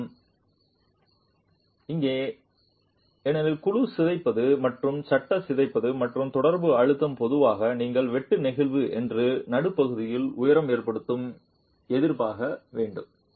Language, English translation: Tamil, However, here because of the deformation of the panel and the deformation of the frame and the contact pressures typically you should expect the shear sliding to occur at mid height